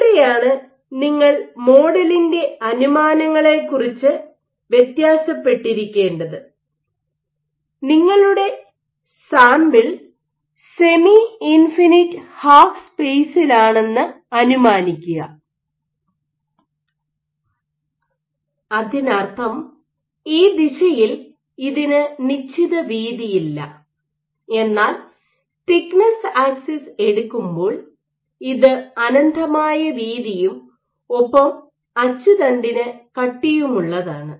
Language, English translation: Malayalam, So, this is where you have to be vary about the assumptions of the model that which assumed that your sample is the semi infinite half space, which means that it does not have finite width in this direction, but it is infinitely wide and along the thickness axis also it is infinitely thick